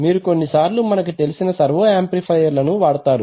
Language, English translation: Telugu, So you use what is known as servo amplifiers